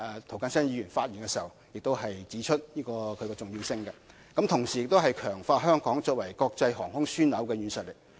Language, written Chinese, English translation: Cantonese, 涂謹申議員剛才亦指出其重要性，同時強化香港作為國際航空樞紐的實力。, Mr James TO also pointed out just now the importance of the Bill saying that it can strengthen Hong Kongs strength as the international aviation hub